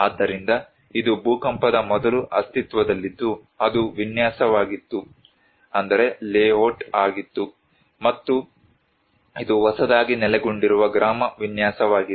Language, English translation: Kannada, The reconstructions, so this was the existing before the earthquake that was the layout and this was the newly located village layout